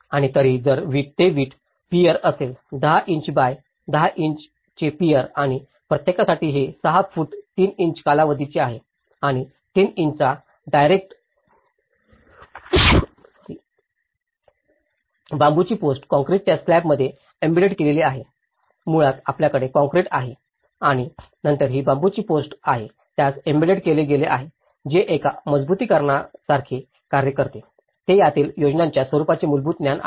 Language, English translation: Marathi, And whereas, if it is a brick pier; 10 inches by 10 inches brick pier and for each this is a 6 feet 3 inches span you are getting and also 3 inch diameter, bamboo post embedded in concrete slab so, basically, you have the concrete and then this is a bamboo post which has been embedded with it that acts like a reinforcement so, this is a basic understanding of the plan forms of it